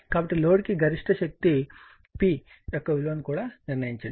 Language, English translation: Telugu, So, maximum power to the load, determine the value of the maximum power P also right